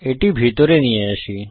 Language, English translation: Bengali, Let me bring it inside